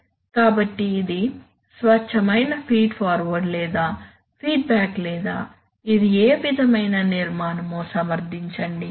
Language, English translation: Telugu, So justify whether it is a pure feed forward or for feedback or what sort of a structure it is